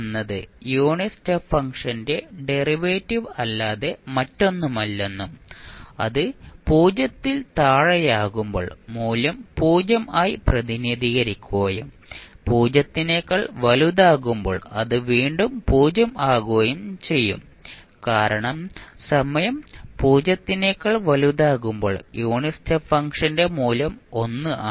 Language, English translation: Malayalam, You will say delta t is nothing but derivative of unit step function and it is represented as value 0 when t less than 0 and it is again 0 when t greater than 0 because the unit step function at time t greater than 0 is 1